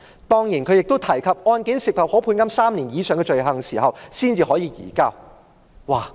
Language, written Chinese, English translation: Cantonese, 當然，政府亦提及案件涉及可判監3年以上的罪行時，才可以移交逃犯。, Certainly the Government also stated that only when offences are punishable with imprisonment for more than three years can fugitive offenders be surrendered